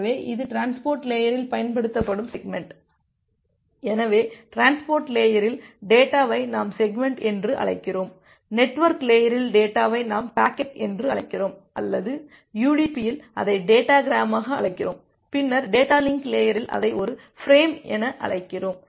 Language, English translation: Tamil, So, the segment it is used at the transport layer, so in the transport layer the data primitive we call it as a segment, at the network layer, the data primitive we term it as a packet or in the contest of UDP we call it as a data gram and then at the data link layer we call it as a frame